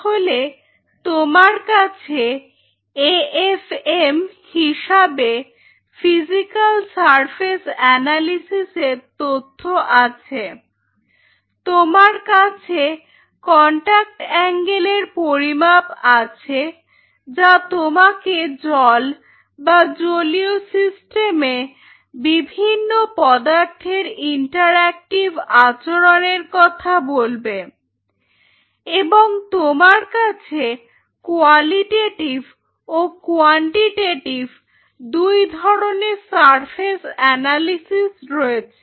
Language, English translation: Bengali, So, now if you summarize you have a physical surface analysis in the form of afm you have a contact angle measurement which will tell you the interactive behavior of the material in the presence of water or aqueous system and you have a surface analysis both quantitative and qualitative